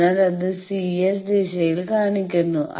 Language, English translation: Malayalam, So, that is shown by c S direction